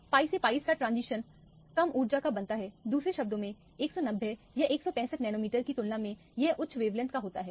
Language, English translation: Hindi, The pi to pi star transition becomes lower energy, in other words it is of higher wavelength compared to the 190 or 165 nanometer